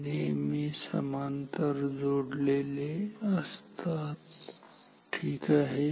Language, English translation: Marathi, This is always connected in parallel ok